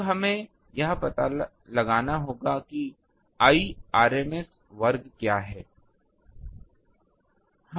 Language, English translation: Hindi, Now we will have to find out what is the Irma square